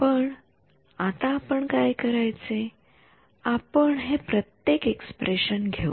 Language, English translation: Marathi, So, now, what do we do we will take these guys each of this expression